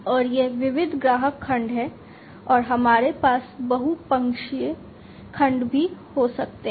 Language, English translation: Hindi, And this is diversified customer segment and we can also have multi sided segments